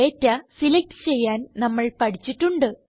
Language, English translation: Malayalam, We have already learnt how to select data